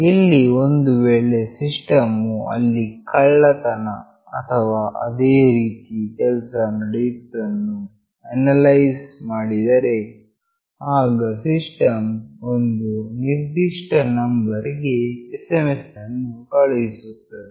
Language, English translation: Kannada, Here if the system analyzes that there is a theft attempt or something like that then the system will send a SMS to some particular number